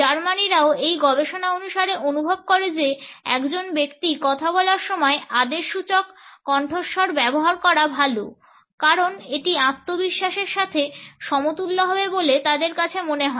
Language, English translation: Bengali, Germans also feel according to this research that using a commanding tone is better while a person is speaking, because it would be equated with self confidence